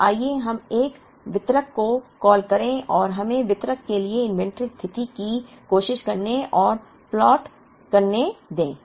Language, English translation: Hindi, So, let us call a distributor and let us try and plot the inventory position for the distributor